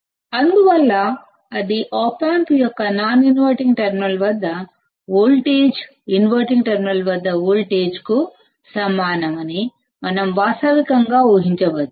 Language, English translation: Telugu, Thus, we can realistically assume that voltage at the non inverting terminal of the op amp is equal to the voltage at the inverting terminal